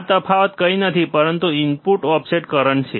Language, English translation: Gujarati, tThis difference is nothing but the input offset current